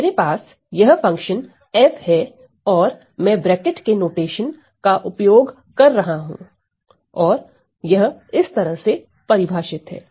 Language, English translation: Hindi, If I have this function f and I am using this bracket notation and this is defined as follows